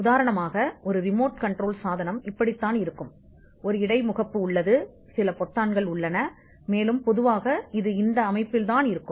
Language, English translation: Tamil, For instance, this is how a remote control device looks like, there is an interface, there are some buttons and typically it is in a standard form